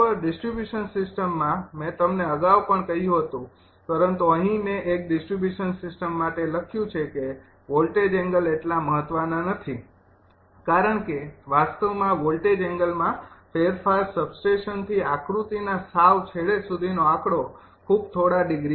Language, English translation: Gujarati, things are easier, right in a distribution system, the i told you earlier also, but here i have written: in a distribution system the voltage angle is not so important because the variation of voltage angle actually from the substation to the tail end of the figure actually is very few degrees